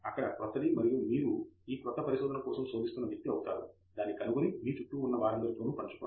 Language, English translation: Telugu, There is something new and you are going to be the person who searches for this new stuff, finds it and then shares it with all the people around you